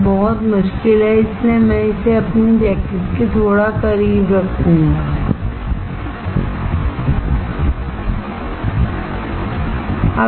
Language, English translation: Hindi, It is very difficult, so I will put it little bit close to my jacket